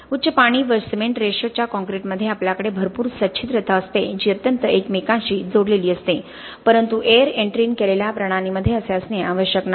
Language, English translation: Marathi, In a high water cement ratio concrete we have a lot of porosity which is going to be highly interconnected, but in air entrained system it need not be like that